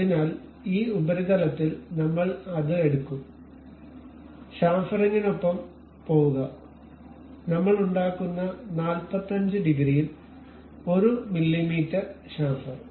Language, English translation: Malayalam, So, this surface we will take it, go with the chamfering, maybe 1 mm chamfer with 45 degrees we make